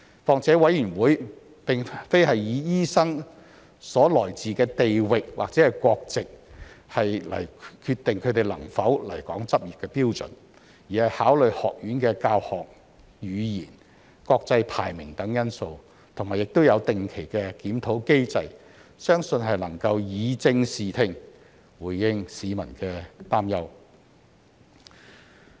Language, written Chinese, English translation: Cantonese, 況且委員會並非以醫生所來自的地域或國籍來決定他們能否來港執業的標準，而是考慮學院的教學語言、國際排名等因素，亦有定期檢討機制，相信能以正視聽，回應市民的擔憂。, Moreover SRC does not determine whether doctors can come to Hong Kong to practise on the basis of their geographical origin or nationality but considers factors such as the teaching language and international ranking of the institutions to which they belong and there is also a regular review mechanism